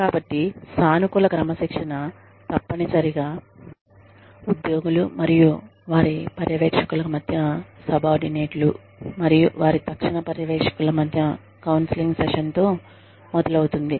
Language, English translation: Telugu, So, positive discipline essentially starts with, a counselling session between, employees and their supervisors, between subordinates and their immediate supervisors